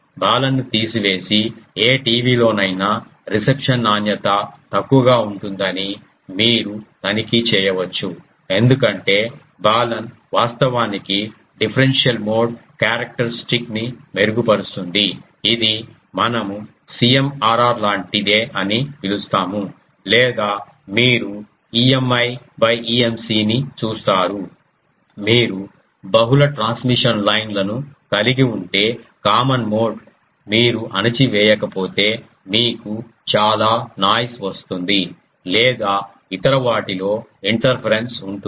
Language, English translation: Telugu, And that you can check that just remove the Balun and see the reception quality in any TV will be poor because Balun actually improves the differential mode characteristic it is something like what we call CMRR in by a operating ah a thing or you will see people that if you have a um multiple transmission lines then the common mode if you don't suppress you will get lot of noise in the ah or interference in the other ones